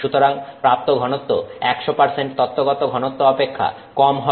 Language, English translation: Bengali, So, density obtained will be less than 100% theoretical